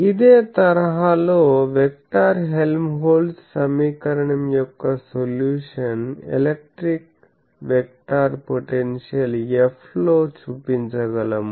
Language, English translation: Telugu, In a similar fashion, we can show that the solution of this vector Helmholtz equation in terms of electric vector potential F